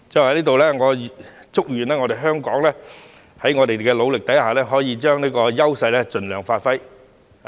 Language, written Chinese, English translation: Cantonese, 我在此祝願香港，在我們的努力下，可以將這個優勢盡量發揮。, I wish that with our efforts Hong Kong can give full play to this advantage